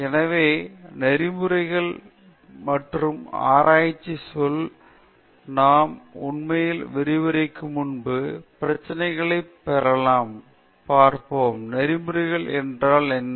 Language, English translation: Tamil, So, ethics and research the termÉ Before we really get into the lecture, get into the problems, let us see what is ethics